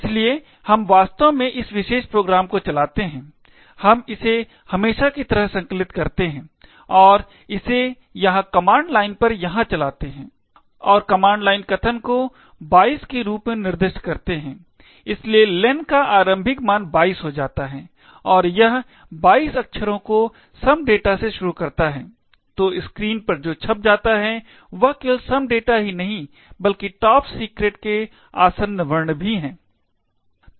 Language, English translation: Hindi, Therefore we actually run this particular program, we compile it as usual and run it in the command line over here and specify as command line argument as 22, so len gets initialised to 22 and it prints 22 characters starting from some data, so what is get printed on the screen is not just some data but also the adjacent characters top secret